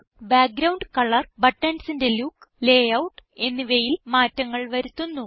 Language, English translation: Malayalam, Changes the background colors, the look of the buttons and the layout